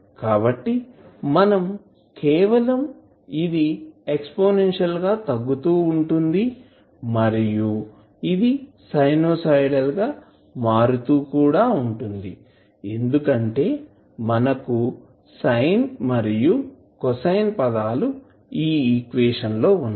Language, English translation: Telugu, So, you will simply see that it is exponentially decaying plus sinusoidally varying also because you have sine cos terms in the equation